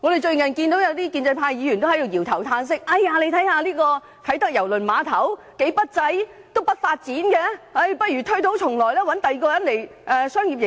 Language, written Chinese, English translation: Cantonese, 最近有些建制派議員在搖頭嘆息，認為啟德郵輪碼頭非常不濟，欠缺發展，有意推倒重來，另找他人作商業營運。, Recently some Members of the pro - establishment camp cannot help sighing over the poor performance and the lack of development of the Kai Tak Cruise Terminal . They want to start all over again and transfer the operating right to another operator